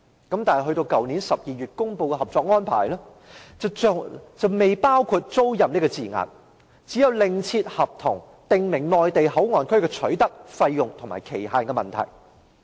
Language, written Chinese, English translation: Cantonese, 但是，去年12月公布的《合作安排》，卻並未包含"租賃"這字眼，而要另立合同規定內地口岸區的取得、費用及期限。, However in the Co - operation Arrangement published in December last year there was no mention of the lease and a separate contract was signed on the acquisition fees and duration of MPA